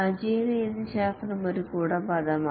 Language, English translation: Malayalam, The agile methodologies is an umbrella term